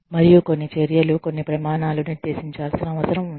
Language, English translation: Telugu, And, some measures, some standards, needs to be laid down